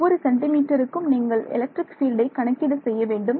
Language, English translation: Tamil, So, every 1 centimeter you are anyway calculating the electric field